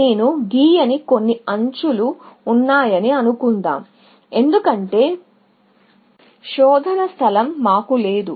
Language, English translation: Telugu, Let us say, there are some more edges that I am not drawing, because we do not want to have an exploding search space